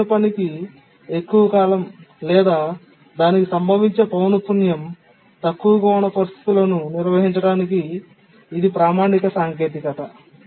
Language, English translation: Telugu, So this is a standard technique to handle situations where a critical task has a long period or its frequency of occurrences lower